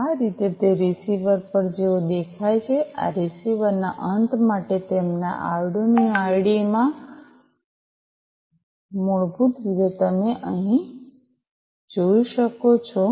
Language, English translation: Gujarati, This is how it looks like at the receiver, in their Arduino IDE for the receiver end, basically, as you can see over here